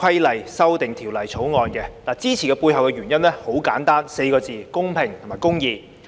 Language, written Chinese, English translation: Cantonese, 我支持《條例草案》的背後原因很簡單，四個字：公平公義。, The reason behind my support for the Bill is very simple and can be summarized in these words fairness and justice